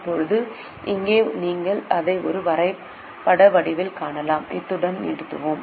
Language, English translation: Tamil, Now here you can also see it in the form of a graph and with this will stop